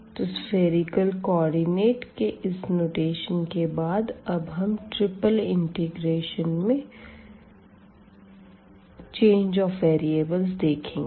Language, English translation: Hindi, So, with this notation of the spherical polar coordinates we will now introduce the change of variables in triple integral